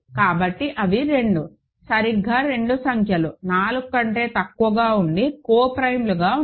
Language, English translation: Telugu, So, they are 2, exactly 2 numbers less than 4 that are co prime to 4